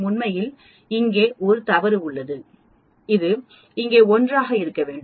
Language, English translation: Tamil, Actually there is a mistake here, this should be 1 here